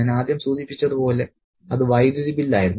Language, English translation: Malayalam, The first thing as I mentioned was the electricity bill